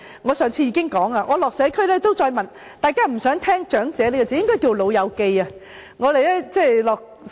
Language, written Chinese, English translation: Cantonese, 我上次已經提到，我探訪社區時，大家都不想聽到"長者"一詞，應該說"老友記"。, As I said last time when I visited local districts people did not want to hear the word elderly and we should call them folks instead